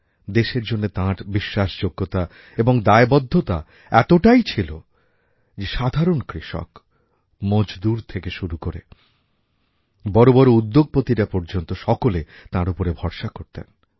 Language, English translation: Bengali, Such was his sense of honesty & commitment that the farmer, the worker right up to the industrialist trusted him with full faith